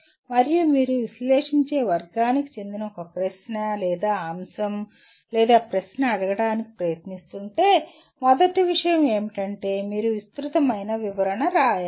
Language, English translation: Telugu, And if you are trying ask a question/an item or a question that belongs to the category of analyze, first thing is you have to write elaborate description